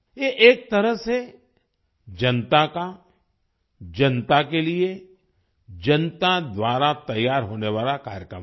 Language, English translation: Hindi, In a way, this is a programme prepared by the people, for the people, through the people